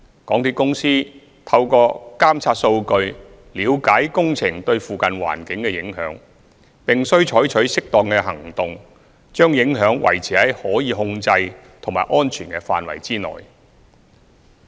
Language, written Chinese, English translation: Cantonese, 港鐵公司透過監察數據了解工程對附近環境的影響，並須採取適當的行動，把影響維持在可控制及安全的範圍內。, With the monitoring data MTRCL could understand the impacts brought by the works to the ambient environment and take appropriate actions to contain the impacts within a controllable and safe range